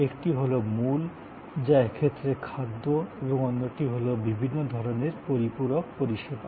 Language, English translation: Bengali, One is the core, which in this case we are showing as food and the other will be different kinds of what we call supplementary services